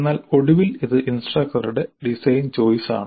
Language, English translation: Malayalam, Beyond that it is instructor's choice